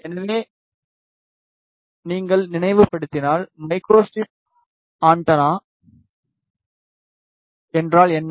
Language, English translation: Tamil, So, if you try to recall, what is micro strip antenna